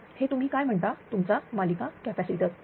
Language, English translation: Marathi, So, this is what ah your what you call that your series capacitor